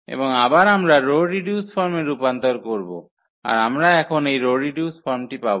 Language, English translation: Bengali, And again, we will convert into the row reduced form, so we got this row reduced form now